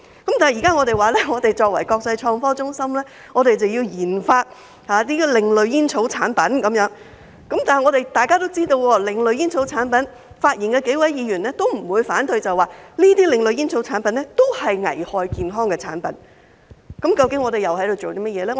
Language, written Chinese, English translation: Cantonese, 但現在我們說，香港作為國際創科中心要研發另類煙草產品，然而，大家也知道，為另類煙草產品發言的數位議員都不反對這些另類煙草產品是危害健康的產品，那麼我們究竟又在做甚麼呢？, But now we are saying that Hong Kong as an international IT hub has to conduct RD on alternative tobacco products . As we all know and even the several Members who spoke for alternative tobacco products would not object that these alternative tobacco products are products which would pose health hazards . Such being the case what are we doing actually?